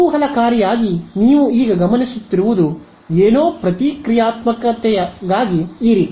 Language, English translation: Kannada, Interestingly what you observe now is something like this for the reactance